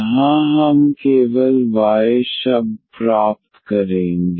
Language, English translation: Hindi, So, the function of y only